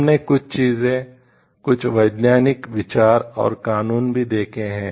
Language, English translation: Hindi, We have also seen like certain things maybe certain scientific thoughts and laws